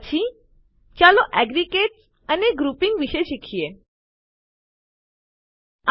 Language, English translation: Gujarati, Next, let us learn about aggregates and grouping